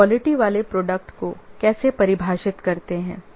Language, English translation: Hindi, How do we define a quality product